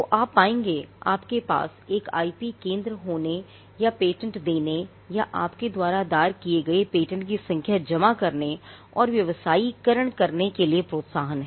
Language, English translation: Hindi, So, you will find that when there is a push to have an IP centre or to have patents or to have to submit the number of patents you have filed, granted and commercialized